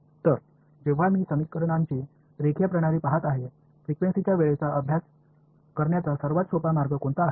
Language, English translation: Marathi, So, when I am looking at a linear system of equations then, what is the most convenient way of studying time of frequency